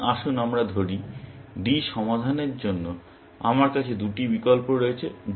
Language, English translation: Bengali, So, let us say, I have two choices for solving D